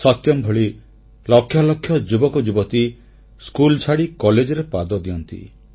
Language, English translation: Odia, Like Satyam, Hundreds of thousands of youth leave schools to join colleges